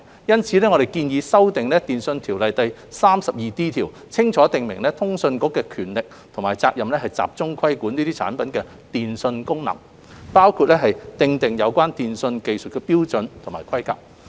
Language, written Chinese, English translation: Cantonese, 因此，我們建議修訂《電訊條例》第 32D 條，清楚訂明通訊局的權力及職責，集中規管這些產品的電訊功能，包括訂定有關電訊技術標準和規格。, For this reason we propose to amend section 32D of TO to clearly provide for the powers and duties of CA and focus on regulating the telecommunications functions of these products including providing for relevant telecommunications technical standards and specifications